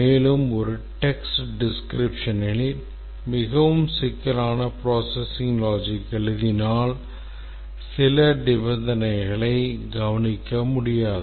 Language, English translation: Tamil, And also in a text form if we write a very complex processing logic it is likely that some of the conditions can be overlooked